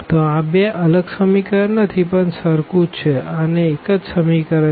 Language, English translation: Gujarati, So, basically these are not two different equations this is the same equation we have only 1 equations